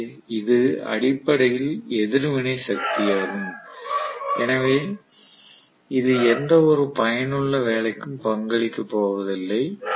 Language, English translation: Tamil, So that is essentially the reactive power, so it does not go or contribute towards any useful work